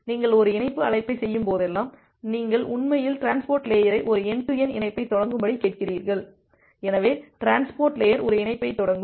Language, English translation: Tamil, Whenever you are making a connect call, then you are actually asking the transport layer to initiate a end to end connection, so the transport layer will initiate a connection